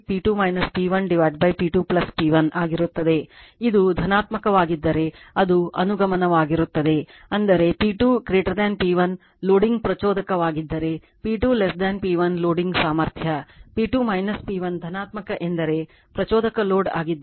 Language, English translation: Kannada, Now, if theta is positive then it is inductive; that means, if P 2 greater than P 1 loading inductive if P 2 less than P 1 loading capacity right if P 2 minus P 1 positive means loading inductive